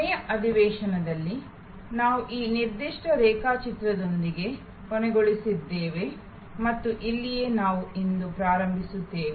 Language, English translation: Kannada, In the last session, we ended with this particular diagram and this is where we will start today